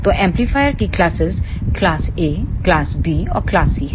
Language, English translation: Hindi, So, the classes of the amplifier is class A, class B, and class C